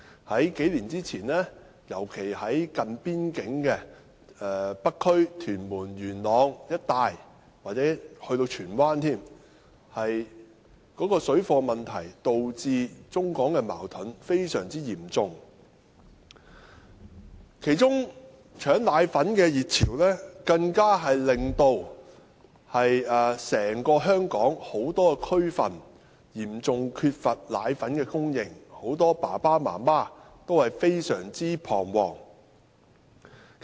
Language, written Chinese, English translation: Cantonese, 數年前，尤其是近邊境的北區、屯門、元朗一帶，甚至荃灣，水貨問題導致中港矛盾非常嚴重，其中搶奶粉的熱潮更導致香港很多地區嚴重缺乏奶粉供應，令很多父母感到非常彷徨。, Several years ago particularly in the North District Tuen Mun and Yuen Long areas near the border and even Tsuen Wan the issue of parallel - goods trading caused severe China - Hong Kong conflicts . Among them panic buying of powdered formulae even led to an acute shortage of powdered formulae causing great anxieties to many parents